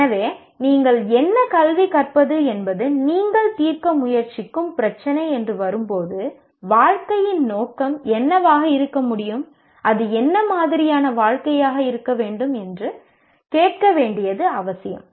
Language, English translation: Tamil, So when you come to the what to educate is the issue that you are trying to address, then it is necessary to ask what can be the purpose of life and what sort of life it should be